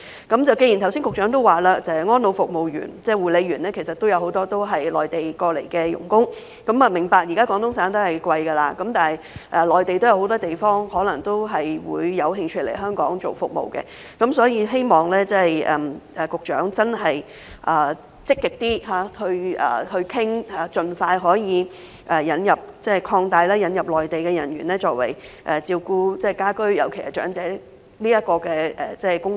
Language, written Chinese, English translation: Cantonese, 局長剛才說有很多安老院舍服務員、護理員也是內地來港的傭工，我明白現時廣東省的薪酬昂貴，但內地很多其他地方的人可能也有興趣來港提供服務，所以希望局長能更積極商討，可以盡快擴大範圍以引入更多內地人員從事家居，尤其是照顧長者的工作。, As the Secretary has said earlier many ward attendants and care workers in residential care homes are helpers coming to Hong Kong from the Mainland . I understand that the salary level is currently high in the Guangdong Province but people from many other places of the Mainland may also be interested in providing services in Hong Kong . Therefore I hope that the Secretary can engage in active discussions so as to expeditiously extend the scope to import more Mainland personnel to engage in home - based services especially providing care for the elderly